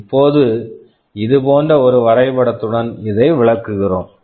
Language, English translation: Tamil, Now, this we are illustrating with a diagram like this